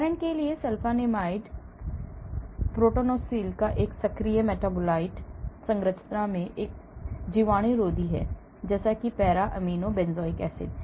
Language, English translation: Hindi, So, sulfanilamide for example, an active metabolite of prontosil, an antibacterial similar in structure to para amino benzoic acid